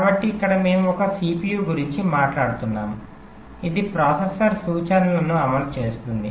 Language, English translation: Telugu, so here we are talking about a cpu, a processor which is executing instructions